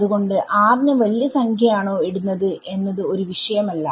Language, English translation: Malayalam, Do you put r to be a large number